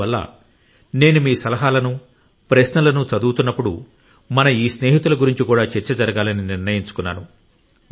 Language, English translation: Telugu, Therefore, when I was reading your suggestions and queries, I decided that these friends engaged in such services should also be discussed